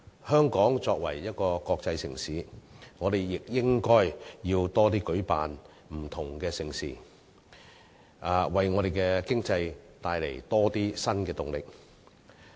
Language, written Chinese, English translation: Cantonese, 香港作為國際城市，亦應該舉辦更多不同的盛事，為香港的經濟帶來更多新動力。, As a cosmopolitan city Hong Kong should organize more mega events of different nature so as to bring more new impetus to the Hong Kong economy